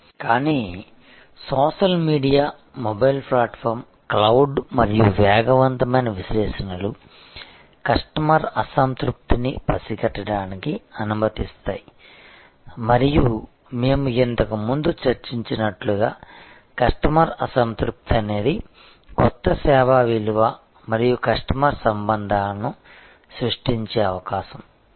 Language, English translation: Telugu, But, the social media, the mobile platform, the cloud and rapid analytics allow us to sense customer dissatisfaction and as we discussed earlier, customer dissatisfaction is an opportunity for creating new service value and customer relationship